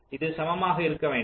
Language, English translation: Tamil, see, this should be equal